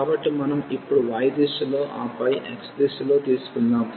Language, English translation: Telugu, So, we can let us take now first in the direction of y, and then in the direction of x